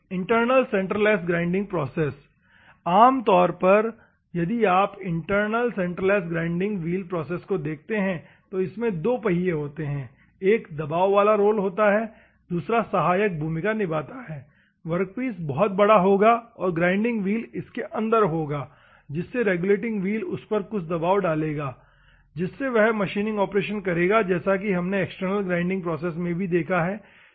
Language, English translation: Hindi, Internals centreless grinding process, normally if you see internal centreless grinding wheel process two wheels are one is a pressurized roll another one is a supporting role, workpiece will be very big and the grinding wheel will be inside so that the regulating wheel will put some pressure on it, so that it will do the machining operation as we have seen external here also internal